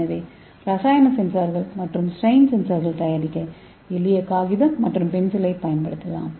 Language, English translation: Tamil, So we can use the simple paper and pencil for making chemical sensor as well as the strain sensor